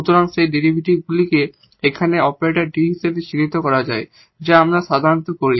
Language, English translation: Bengali, So, denoting this derivative here the an act derivate as this operator D which usually we do